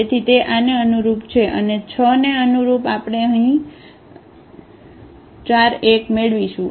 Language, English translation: Gujarati, So, that is corresponding to this one, and corresponding to 6 we will get here 4 1